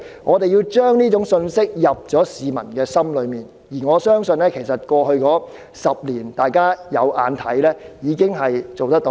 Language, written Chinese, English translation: Cantonese, 我們要將這種信息刻進市民內心，過去10年的情況，大家也看得到，我相信我們已經做到這件事。, We have to instill this message in the mind of the public . In the past decade as Members have seen it I believe we have already achieved this goal